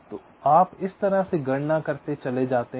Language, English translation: Hindi, so in this way you go on calculating